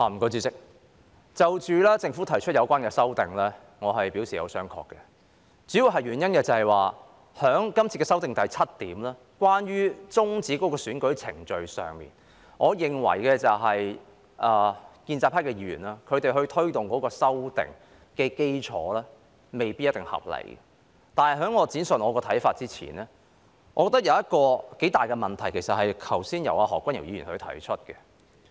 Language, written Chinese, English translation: Cantonese, 主席，就着政府提出的有關修訂，我是表示有商榷的，主要原因是，就修訂中有關終止選舉程序方面，我認為建制派議員在推動修訂的基礎未必一定合理，但在我闡述看法前，我認為有一個頗大的問題，而這問題是由何君堯議員剛才提出的。, Chairman regarding the amendments proposed by the Government I have reservations about them . It is mainly because in respect of the termination of election proceedings I think the basis on which the pro - establishment Members advocated amendments may not necessarily be reasonable . But before I will explain my views I think there is quite a big problem and this problem was brought up by Dr Junius HO earlier on